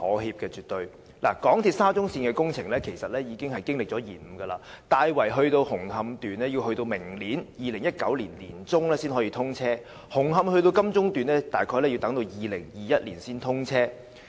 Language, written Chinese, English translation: Cantonese, 香港鐵路有限公司沙中線的工程已經延誤，大圍至紅磡段要待明年年中才可以通車，紅磡至金鐘段大概要於2021年才通車。, The SCL project of the MTR Corporation Limited MTRCL has already been delayed as Tai Wai to Hung Hom Section will be commissioned only in the middle of next year ie . 2019 and Hung Hom to Admiralty Section will be commissioned in around 2021